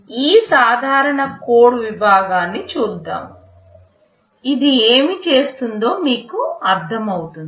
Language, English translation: Telugu, Let us look at this simple code segment; you will understand what this is doing